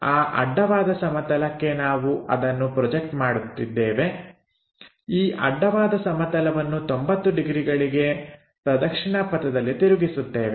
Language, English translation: Kannada, This point we project it on to horizontal plane and horizontal plane is made into 90 degrees clockwise direction